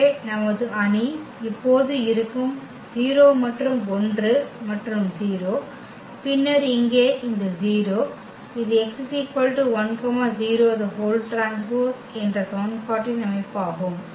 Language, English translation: Tamil, So, our matrix will be now the 0 and 1 and 0 and then here also this 0 that is our system of equation x 1 x 2 and is equal to this 0 0 the right hand side vector